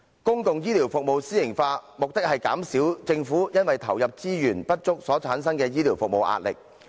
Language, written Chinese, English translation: Cantonese, 公共醫療服務私營化，目的是減少政府因為投入資源不足所產生的醫療服務壓力。, The objective of privatization of public healthcare services is to alleviate the pressure faced by the Government as a result of the insufficient provision of resources for healthcare services